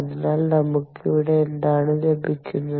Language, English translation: Malayalam, so here, what do we have